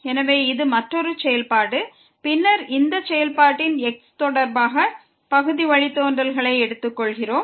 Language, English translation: Tamil, So, this is another function and then we are taking partial derivative with respect to of this function